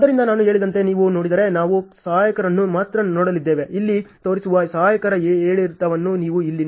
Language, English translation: Kannada, So, if you see as I told you we are only going to see on helpers, if you see here the fluctuation of the helpers which is shown here